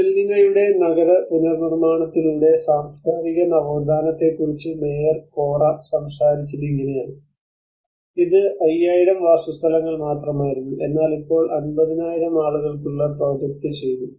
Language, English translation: Malayalam, And this is where the Mayor Corra have talked about looking at cultural renaissance through the urban reconstruction of Gibellina earlier it was only a 5000 habitants, but now they projected it for 50,000 people